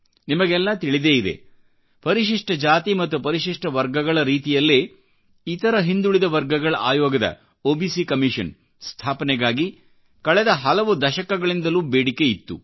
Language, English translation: Kannada, As you know, a demand to constitute an OBC Commission similar to SC/ST commission was long pending for decades